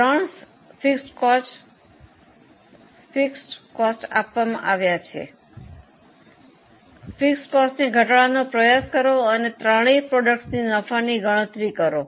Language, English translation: Gujarati, Now, from this three fixed costs are also known, try to reduce the fixed cost and compute the profitability for all the three products